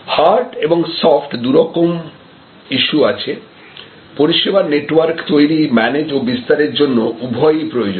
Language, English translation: Bengali, So, there are hard issues and there are soft issues, both are important to create, manage and propagate a service network